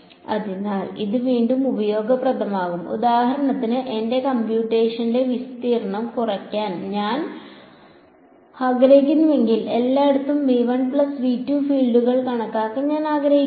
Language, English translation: Malayalam, So, again this is this can be useful if for example, I want to reduce the area of my computation I do not want to compute the fields everywhere in V 1 plus V 2